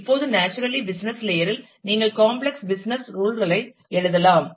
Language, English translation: Tamil, Now, naturally business layer you could write complex business tools